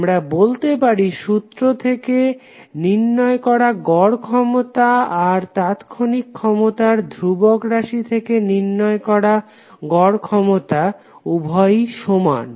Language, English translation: Bengali, So we can say that the average power which we calculate from the formula or average power we calculate from the instantaneous power constant term of instantaneous power both are same